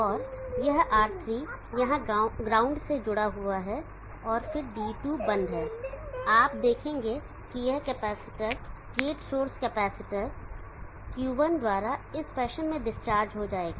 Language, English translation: Hindi, And this R3 is connected to the ground here and then D2 is off and you will see this capacitor gate source capacitor will discharge through Q1 in this fashion